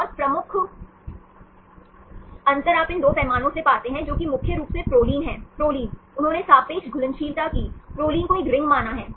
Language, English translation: Hindi, And major difference you find from these 2 scales, that is mainly proline, proline they did the relative solubility, proline as a ring